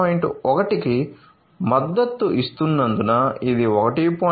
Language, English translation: Telugu, 1, it does not support 1